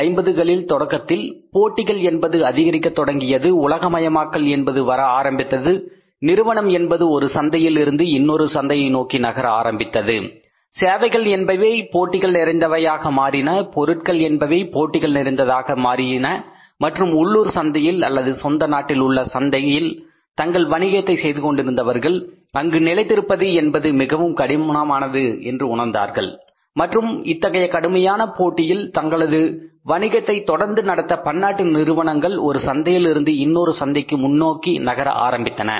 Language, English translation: Tamil, Globalization started taking place, companies started moving from the one market to the another market, services became competitive, products became competitive and for the domestic players operating in the one local market or the home country's market they found it difficult to sustain and to continue with their business because of the tough competition put forward by the multinational companies moving from the one market to the other market